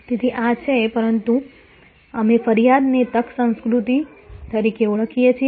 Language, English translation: Gujarati, So, this is, but we call complained as an opportunity culture